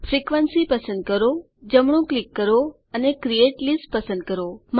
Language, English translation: Gujarati, Select the frequency right click and say create list